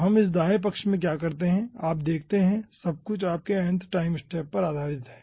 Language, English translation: Hindi, so what we do in this right ah hand side, you see, everything is based on your ah nth time step